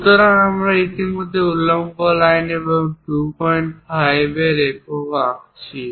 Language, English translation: Bengali, So, if we are drawing a vertical line here and a unit of 2